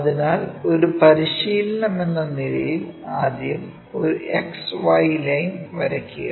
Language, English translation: Malayalam, So, the first thing as a practice draw a XY line